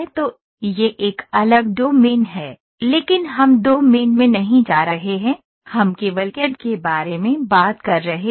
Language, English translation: Hindi, So, that is a separate domain, but we are not getting into the domain, we are talking only about CAD